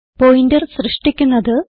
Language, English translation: Malayalam, To create Pointers